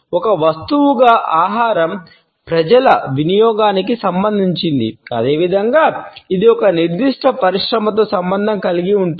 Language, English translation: Telugu, Food as a commodity is related to the consumption by people as well as it is associated with a particular industry